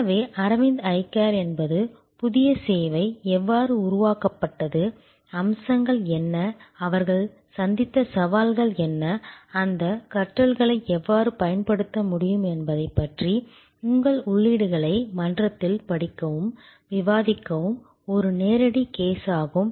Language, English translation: Tamil, So, Aravind Eye Care is a live case for you to study and discuss on the forum and give your inputs that how the new service has been created, what are the features, what are the challenges they have met and how those learning’s can be deployed in other services